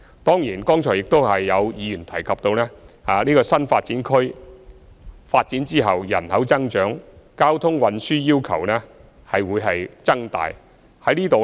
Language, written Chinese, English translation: Cantonese, 當然，剛才亦有議員提及新發展區發展後人口增長，交通運輸需要會相應增加。, Of course as some Members mentioned just now with an increased population in new development areas after their development there will be a corresponding increase in the demand for transport services